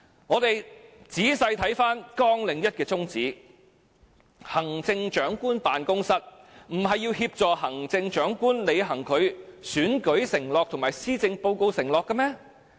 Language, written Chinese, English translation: Cantonese, 我們仔細看看綱領1的宗旨，行政長官辦公室不是要協助行政長官履行其選舉承諾及施政報告承諾的嗎？, Reading the aims of Programme 1 in detail is it not the job of the Chief Executives Office to assist the Chief Executive in delivering the pledges he made in the election and the Policy Address?